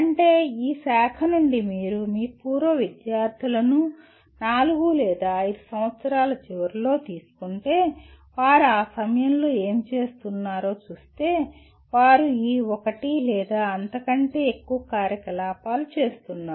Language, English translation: Telugu, That means if you take your alumni from this branch at the end of four or five years, if you look at what they are at that time doing, they are doing one or more of these activities